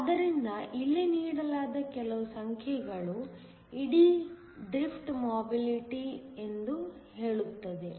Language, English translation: Kannada, So, some of the numbers that are given here says that the whole drift mobility